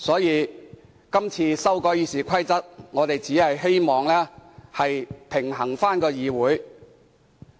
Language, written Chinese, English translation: Cantonese, 因此，今次修改《議事規則》，我們只是希望議會能夠回復平衡。, Therefore with the current amendment of RoP we just want to resume a balance in the Council